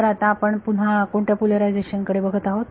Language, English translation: Marathi, So, we are looking at again which polarization